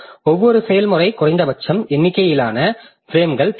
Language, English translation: Tamil, So, each process needs some minimum number of frames